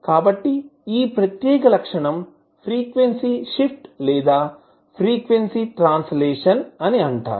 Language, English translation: Telugu, So this particular property is called as frequency shift or frequency translation